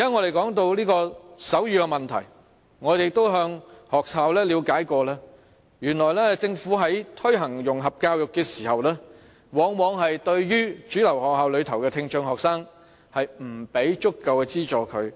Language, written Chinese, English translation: Cantonese, 我們現在提到手語的問題，我們亦曾向學校了解過，原來政府在推行融合教育時，往往沒有對主流學校內的聽障學生提供足夠資助。, As to the problem of sign language that we are talking about now I have also assessed the situation of schools and found that more often than not no adequate subsidies were provided to students with hearing impairment in mainstream schools when the Government was promoting integration education